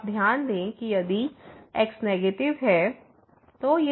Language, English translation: Hindi, So, you note that if is negative